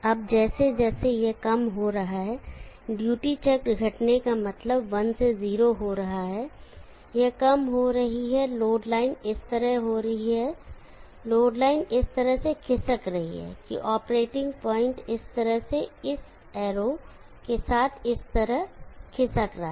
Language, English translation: Hindi, Now as it is decreasing, duty cycle decreasing means from 1 to 0 it is decreasing the load line is shifting like this, the load line is shifting such that the operating point is shifting in this fashion along this arrow like this